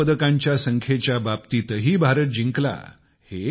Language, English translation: Marathi, India also topped the Gold Medals tally